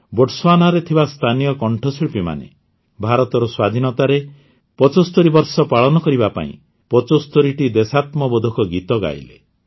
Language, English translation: Odia, Local singers living in Botswana sang 75 patriotic songs to celebrate 75 years of India's independence